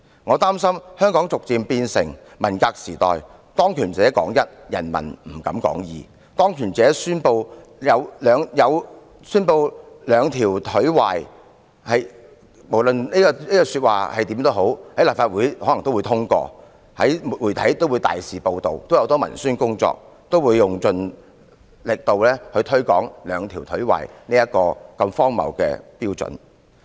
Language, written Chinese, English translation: Cantonese, 我擔心香港會逐漸變成文革時代，當權者說一，人民不敢說二；當權者宣稱"兩條腿壞"時，無論這句話是甚麼意思，可能都會獲立法會通過，媒體也會大肆報道，很多文宣工作也會用盡力度推廣"兩條腿壞"如此荒謬的標準。, I am worried that Hong Kong will enter into the era of the Cultural Revolution . By then when those in power say yes no one dares say no; when those in power declare that two legs bad whatever the implication is it will always be passed by the Legislative Council and extensively covered by the media . Those in charge of culture and publicity work will also exhaust every means to promote such a ridiculous standard as two legs bad